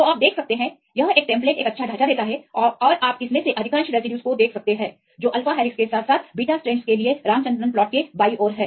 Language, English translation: Hindi, So, you can see; this is a template gives a good structure and you can see most of this the residues which are left side of the Ramachandran plot for the alpha helixes as well as for the beta strands